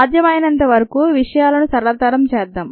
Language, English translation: Telugu, let us make things as simple as possible